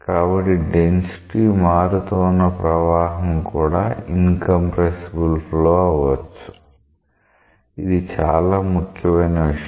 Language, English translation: Telugu, So, a variable density flow may also be an incompressible flow; this is a very important concept